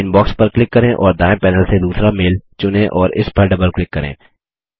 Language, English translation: Hindi, Click on Inbox and from the right panel, select the second mail and double click on it